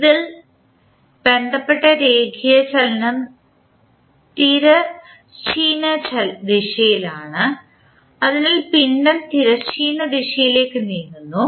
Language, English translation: Malayalam, The linear motion concerned in this is the horizontal direction, so the mass is moving in the horizontal direction